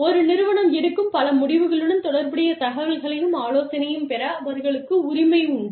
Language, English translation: Tamil, They have the right to receive, information and consultation, relative to many decisions, a firm makes